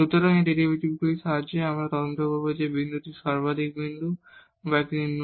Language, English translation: Bengali, So, with the help of these derivatives we will investigate further whether this point is a point of maximum or it is a point of minimum or it is a saddle point